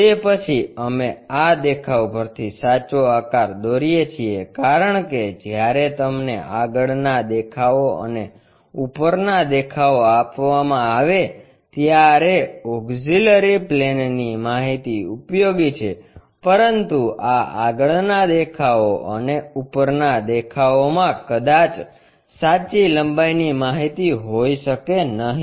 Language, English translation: Gujarati, After that we draw a true shape from this view because auxiliary plane concept is useful when you have front views and top views are given, but these front views and top views may not be the true length information